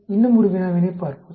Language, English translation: Tamil, Let us look at one more problem